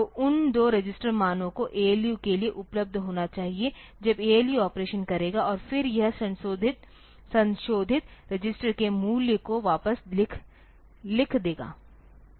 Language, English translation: Hindi, So, those two register values will be I should be available to the ALU when the ALU will do the operation and then it will write back the value on to the value of this of the modified register